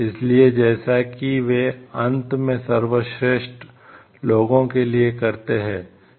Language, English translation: Hindi, So, as they do it for the as they do the best for the most people do in the end